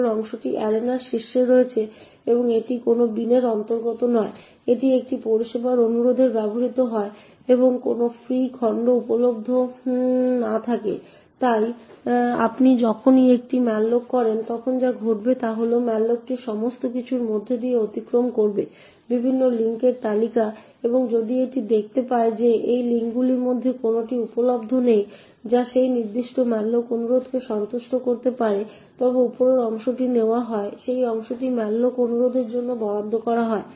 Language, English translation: Bengali, The top chunk is at the top of the arena and does not belong to any bin, so it is used to service requests when there is no free chunks available, so whenever you do a malloc what would happen is that the malloc would traversed through all the various link list and if it finds that there are no chance which are available in any of these link which can satisfy that particular malloc request then the part of the top chunk is taken and that part is allocated for the malloc request